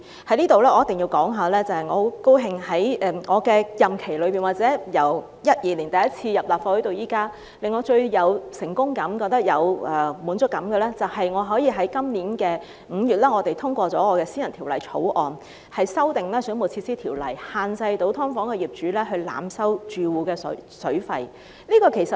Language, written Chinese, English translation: Cantonese, 我在此一定要說，我十分高興在我的任期內，或者由2012年第一次進入立法會至今，令我最有成功感、覺得有滿足感的，便是可以在今年5月通過我提出的私人法案，修訂《水務設施條例》，限制"劏房"業主濫收住戶水費。, I must say here that I am very delighted that during my term of office or since I first joined the Legislative Council in 2012 the most successful and satisfying thing for me is the passage of my private bill to amend the Waterworks Ordinance in May this year to restrict overcharging of water fees by owners of subdivided units